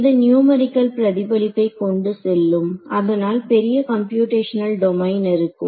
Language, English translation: Tamil, So, it leads to numerical reflection therefore, larger computational domain